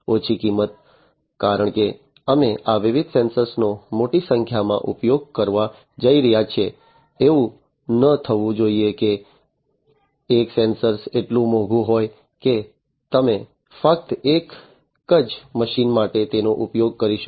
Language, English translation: Gujarati, Low cost because we are going to use large number of these different sensors, it should not happen that one sensor is so costly, that only you can use it for one machine